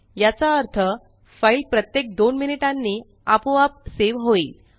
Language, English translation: Marathi, This means that the file will automatically be saved once every two minutes